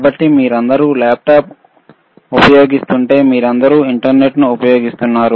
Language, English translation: Telugu, So, if you have all of you use laptop, all of you use internet